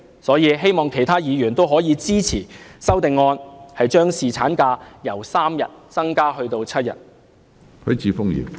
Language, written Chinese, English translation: Cantonese, 所以，我希望其他議員可以支持我的修正案，將侍產假由3天增加至7天。, For these reasons I hope other Members will support my amendment on increasing paternity leave from three days to seven days